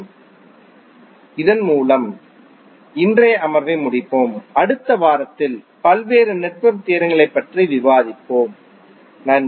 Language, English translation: Tamil, So, with this we will close today’s session, in next week we will discuss about the various network theorems, thank you